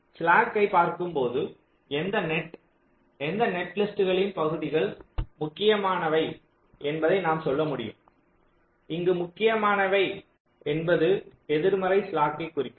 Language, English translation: Tamil, so by looking at the slack we can tell which of the nets are, which of the segments of the net list are critical in the sense that some of the slacks may become negative